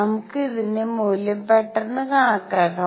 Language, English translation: Malayalam, Let us just quickly calculate the value of this